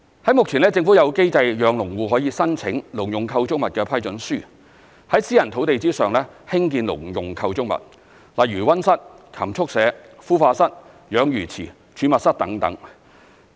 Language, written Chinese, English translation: Cantonese, 在目前，政府有機制讓農戶可以申請農用構築物批准書，在私人農地上興建農用構築物，例如溫室、禽畜舍、孵化室、養魚池、儲物室等。, At present a system is in place for farmers to apply for Letter of Approval for Agricultural Structures so that they can erect on private farmland agricultural structures such as greenhouses livestock sheds hatcheries fishponds storerooms etc